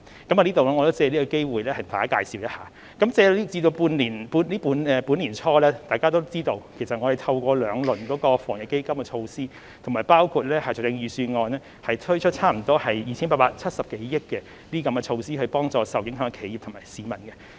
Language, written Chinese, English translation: Cantonese, 我想藉此機會向大家介紹一下，自本年年初，可能大家也知道，我們透過兩輪防疫抗疫基金措施，以及在財政預算案中推出差不多 2,870 多億元措施，幫助受影響企業和市民。, I wish to take this opportunity to provide some information to Members . Early this year the two - rounds of measures launched under the Anti - epidemic Fund and those announced in the Budget amount to some 287 billion . They seek to help the affected enterprises and people